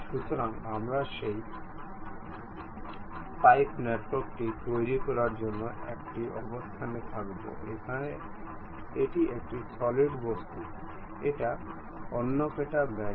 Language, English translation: Bengali, So, we will be in a position to construct that pipe network; here it is a solid object it is more like a bent